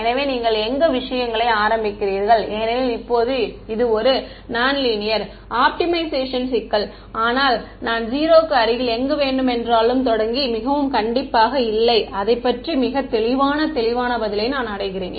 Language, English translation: Tamil, So, where you initialize matters because now this is a non linear optimization problem, but if I started anywhere close to 0 not being very strict about it, I reach the correct answer that much is clear